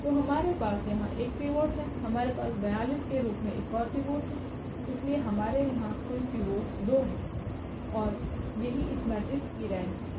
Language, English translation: Hindi, So, we have one pivot here, we have another pivot as 42, so, the total pivots here we have 2 and that is what the rank here is of this matrix is 2